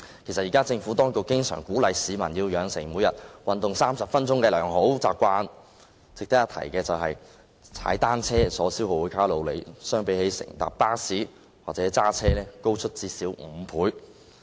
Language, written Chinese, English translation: Cantonese, 其實現時政府當局經常鼓勵市民培養每天運動30分鐘的良好習慣，值得一提的是，踏單車所消耗的卡路里較乘搭巴士或駕車高出最少5倍。, Actually now the Administration often encourages the public to develop a good habit of exercising for 30 minutes every day . A point worth mentioning is that the amount of calories burnt by cycling is at least five times higher than that by taking the bus or driving